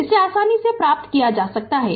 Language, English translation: Hindi, So, easily you can get it